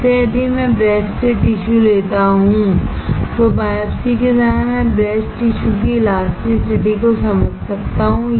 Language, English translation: Hindi, So, if I take the tissue from the breast, during the biopsy I can understand the elasticity of the breast tissue